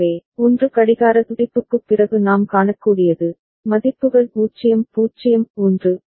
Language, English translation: Tamil, So, after 1 clock pulse right what we can see, the values are 0 0 1